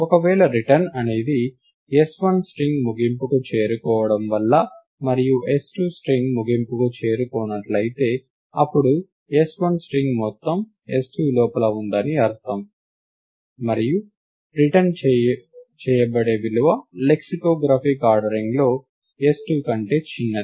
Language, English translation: Telugu, If the return is because of s1 reaching the end of string, and s2 not being the end of string, then it means that all of s1 is contained inside s2, and the value that would be returned is that s1 is smaller than s2 in the lexicographic ordering